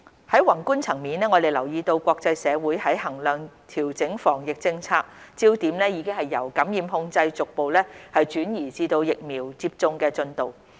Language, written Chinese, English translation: Cantonese, 在宏觀層面，我們留意到國際社會在衡量調整防疫政策時，焦點已由感染控制逐步轉移至疫苗接種的進度。, At the macro - level we notice that when evaluating or adjusting the anti - epidemic policies the international community has shifted its focus from infection control to vaccination progress